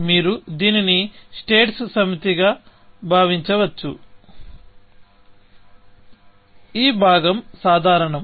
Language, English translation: Telugu, You can think of this as a set of states in which, this part is common